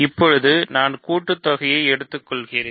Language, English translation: Tamil, So, I take the sum, not the difference so, I take the sum